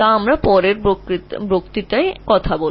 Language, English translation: Bengali, We'll talk about it in the next lecture